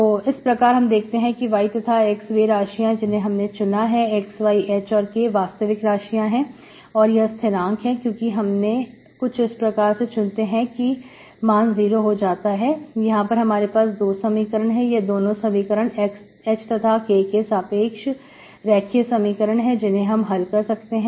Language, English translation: Hindi, So you can see that X, Y are your actual variables, actual variables are here small x, y, H and K are fixed constants, because that is how you fix them so that this is 0, these are the 2 equations, linear equations in H, K, which you can solve it